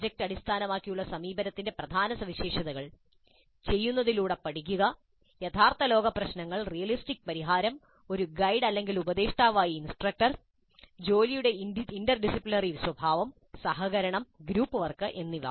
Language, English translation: Malayalam, The key features of project based approach, learning by doing, real world problems, realistic solution, instructor as a guide or a mentor, interdisciplinary nature of the work, collaboration and group work